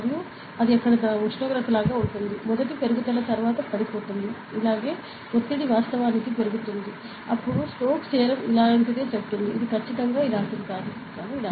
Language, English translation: Telugu, And it will be like the temperature there, the first increases then drop, it stays similar like this and the pressure actually increases, then Strokes something like this, it is not exactly like this, but something like this